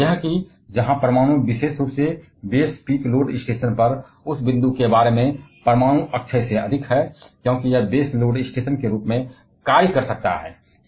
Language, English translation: Hindi, And that is where nuclear particularly about that point on base peak load station nuclear scores higher than renewable, because it can act as a base load station